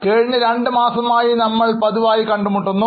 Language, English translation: Malayalam, So, we were meeting regularly for last two months